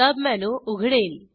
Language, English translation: Marathi, A sub menu opens